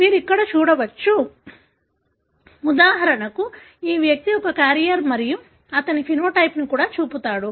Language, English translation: Telugu, So, you can look here, for example this individual is a carrier and he also shows the phenotype